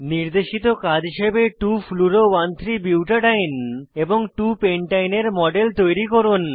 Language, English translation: Bengali, For the Assignment # Create the models of 2 fluoro 1,3 butadiene and 2 pentyne